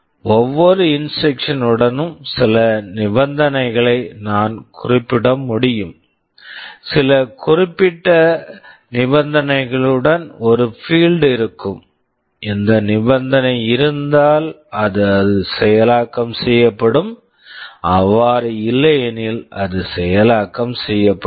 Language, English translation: Tamil, I can specify some condition along with every instruction, there will be a field where some condition is specified; if this condition holds, then it is executed; otherwise it is not executed